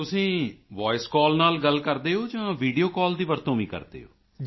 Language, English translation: Punjabi, Do you talk through Voice Call or do you also use Video Call